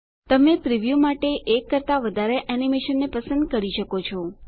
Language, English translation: Gujarati, You can also select more than one animation to preview